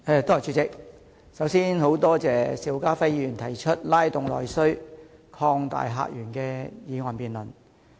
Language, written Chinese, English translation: Cantonese, 主席，首先，多謝邵家輝議員提出這項"拉動內需擴大客源"議案辯論。, President first of all I thank Mr SHIU Ka - fai for proposing this motion on Stimulating internal demand and opening up new visitor sources for debate